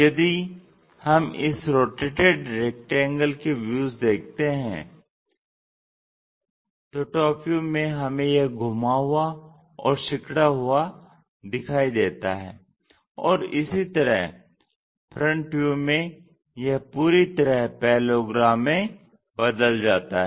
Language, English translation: Hindi, If we rotate it this rectangle the way how it is visible from the top view is rotated, squeezed up, similarly in the front view that completely changes to a parallelogram